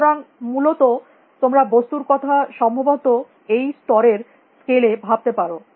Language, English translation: Bengali, So, you can perhaps think about things at this level of scale essentially